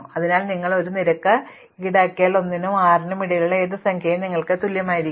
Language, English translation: Malayalam, So, if you roll a fare die you get any number between 1 and 6 equally likely